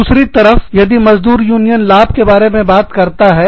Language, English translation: Hindi, On the other hand, if the labor union, talks about benefits